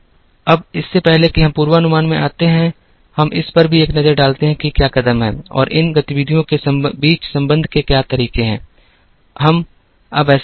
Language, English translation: Hindi, Now, before we get into forecasting, let us also take a quick look at, what are the steps and what are the ways of linkages among these activities, we will do that now